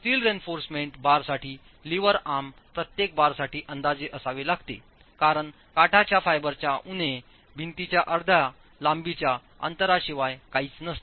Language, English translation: Marathi, The lever arm for the steel reinforcement bars has to be estimated for each bar as nothing but the distance from the edge fiber minus half the length of the wall